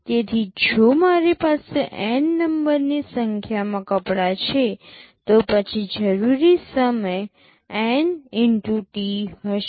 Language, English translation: Gujarati, So, if I have a N number of clothes, then the total time required will be N x T